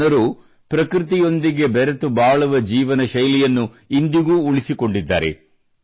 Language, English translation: Kannada, These people have kept the lifestyle of living in harmony with nature alive even today